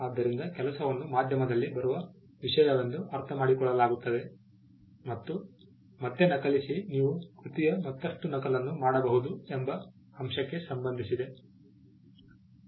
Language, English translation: Kannada, So, work is understood as something that comes on a medium and copy again it is tied to the fact that you can make a further copy of a work